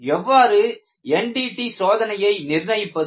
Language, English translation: Tamil, How is the NDT schedule decided